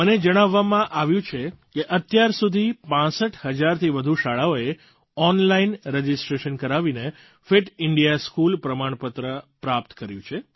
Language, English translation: Gujarati, I have been told that till date, more than 65,000 schools have obtained the 'Fit India School' certificates through online registration